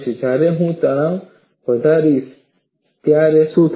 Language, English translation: Gujarati, When I increase the stress, what happens